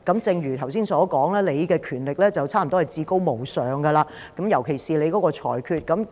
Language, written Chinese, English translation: Cantonese, 正如剛才所說，你的權力近乎至高無上，尤其是你的裁決。, As I said just now your power borders on supremacy which is particularly true of your ruling